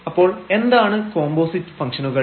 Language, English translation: Malayalam, So, what are the composite functions